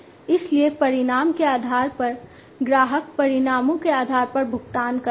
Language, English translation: Hindi, So, based on the outcome, the customer pays based on the outcomes